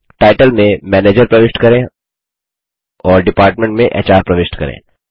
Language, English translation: Hindi, In the Title enter Manager and in Department enter HR.Click OK